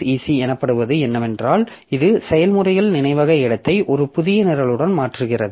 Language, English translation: Tamil, So, what is exec call does is that it replaces the processes memory space with a new program